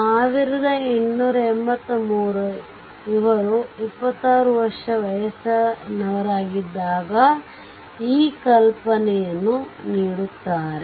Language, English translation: Kannada, So, 1883, he give this concept when he was 26 years of age right